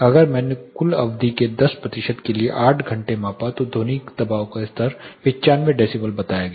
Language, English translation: Hindi, If I measured for 8 hours for 10 percent of the total duration the sound pressure level was say 95 decibel